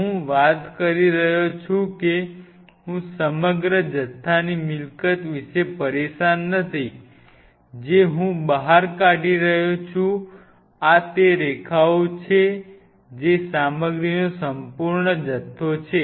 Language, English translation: Gujarati, I am talking about I am not bothered about the whole bulk property of it this is what I am hatching the lines this is the whole bulk of that material ok